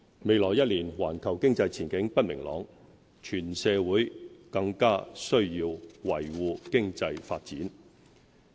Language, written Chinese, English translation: Cantonese, 未來一年，環球經濟前景不明朗，全社會更須維護經濟發展。, In the coming year in view of the uncertain global economic outlook the whole community must work to sustain economic development